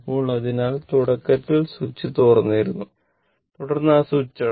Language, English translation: Malayalam, So, initially switch was open switch was initially switch was open